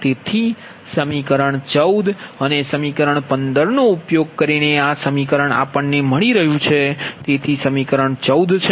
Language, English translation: Gujarati, so equation using equation fourteen and fifteen: right, we get